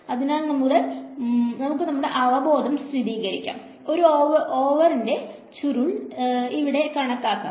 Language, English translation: Malayalam, So, let us confirm our intuition, let us calculate the curl of a over here